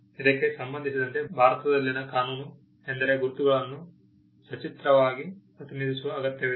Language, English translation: Kannada, The law in India with regard to this is that the marks need to be graphically represented